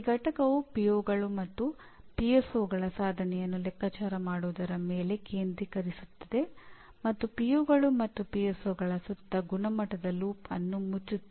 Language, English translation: Kannada, And this unit will focus on computing the attainment of POs and PSOs and close the quality loop around POs and PSOs